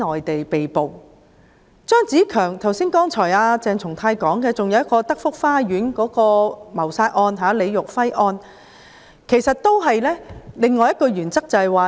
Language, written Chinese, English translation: Cantonese, 除了張子強案，剛才鄭松泰議員提到德福花園謀殺案——李育輝案，關乎的是另一項原則。, Apart from the CHEUNG Tze - keung case Dr CHENG Chung - tai just now mentioned the Telford Gardens murder case―the LI Yuhui case which concerns another principle